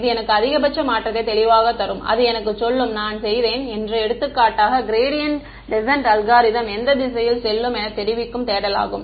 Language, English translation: Tamil, It will clearly me maximum change and it will tell me that if I did, for example, the gradient descent algorithm which direction will the search go right